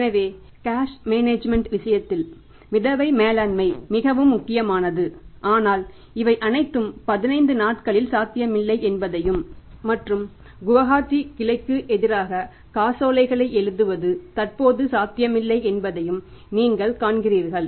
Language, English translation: Tamil, So, float management is very very important in case of the cash management but you see this all is not possible 15 days and writing the checks against the Gohati branch that is also not possible in the normal course